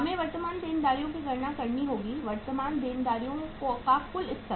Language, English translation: Hindi, We have to now calculate the current liabilities, the total level of the current liabilities